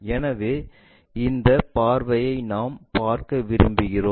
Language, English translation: Tamil, So, we want to look at from this view